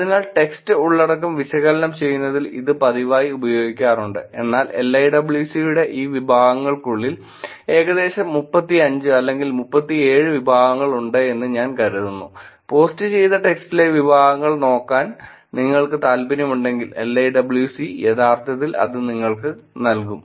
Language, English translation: Malayalam, So, it has being very frequently used in analyzing text content, but specifically within these categories that LIWC, I think that it has about 35 or 37 categories that has if you are interested in looking at the categories in the text which is posted, LIWC could actually give you that